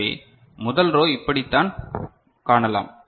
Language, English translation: Tamil, So, this is how the first row is seen ok